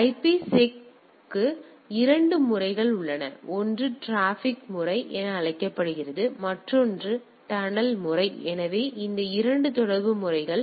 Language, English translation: Tamil, So, there are 2 mode of 2 modes for IPSec one what is called transport mode, another is the tunnel mode; so, these 2 mode of communication